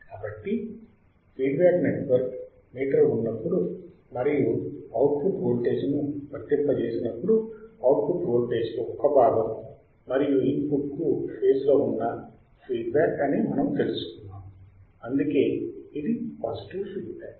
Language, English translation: Telugu, So, what we have learned we have learned that when there is a feedback network meter and when we apply a output voltage, a part of output voltage is feedback to the input it is in phase and that is why it is a positive feedback